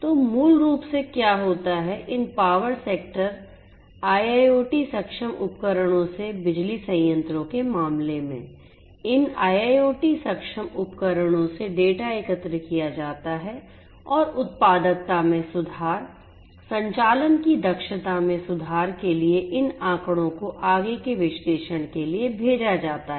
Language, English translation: Hindi, So, the basically what happens is, the data are collected from these IIoT enabled devices in the case of power plants from these power sector IIoT enabled devices and these data are sent for further analysis to improve the productivity to improve the efficiency of operations of the workforce that is working in the power plants and so on